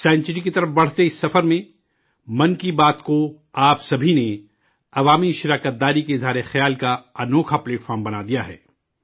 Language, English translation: Urdu, In this journey towards a century, all of you have made 'Mann Ki Baat' a wonderful platform as an expression of public participation